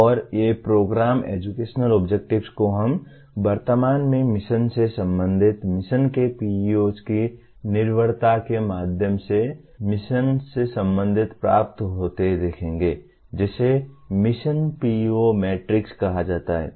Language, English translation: Hindi, And these Program Educational Objectives we will presently see get related to mission through the dependency of PEOs on the mission of the department is expressed through what is called Mission PEO matrix